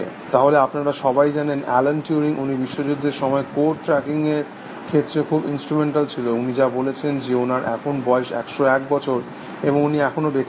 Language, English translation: Bengali, So, you all know Alan Turing, he was very instrumental in tracking codes, during world war, this thing, what he says, that he would have been one hundred and one years old